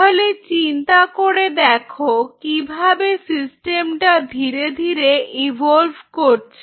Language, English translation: Bengali, So, now, you see how the system is slowly evolving in your brain